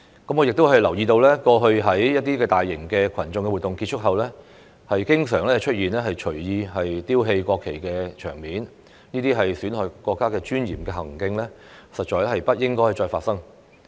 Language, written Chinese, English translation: Cantonese, 我亦留意到，過去在一些大型群眾活動結束後，經常出現隨意丟棄國旗的場面，這些損害國家尊嚴的行徑，實在不應該再發生。, It also comes to my attention that after some large public events people often casually threw away the national flags . Such acts which undermine the dignity of our country should not happen again